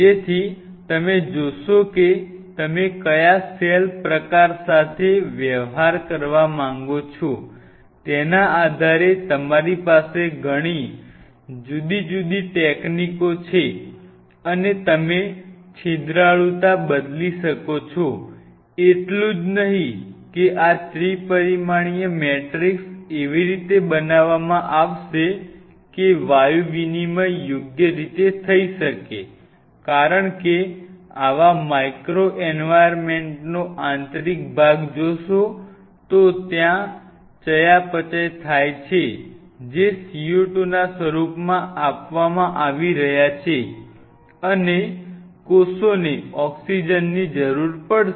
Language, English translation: Gujarati, So, you see at your disposal you have so many different techniques and you can vary the porosity depending on which cell type you wanted to deal with, not only that this 3 dimensional matrix are to be created in such a way that the gaseous exchange happens properly because, in such micro environment if you see the interior of the micro environment there are metabolites which are being given out form of c o 2 and the cells will be needing oxygen